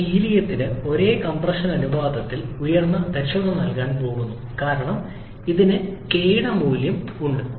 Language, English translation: Malayalam, Then, for the helium one is going to give you higher efficiency for the same compression ratio because it has a lower value of k